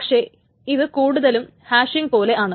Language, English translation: Malayalam, It's almost like hashing